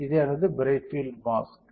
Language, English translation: Tamil, This is my bright field mask